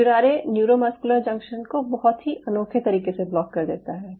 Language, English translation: Hindi, curare can block the neuromuscular junction in a very unique way